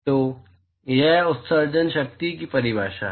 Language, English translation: Hindi, So, that is the definition of Emission power